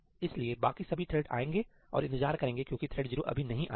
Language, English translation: Hindi, So, all the other threads will come and wait over here because thread 0 has not come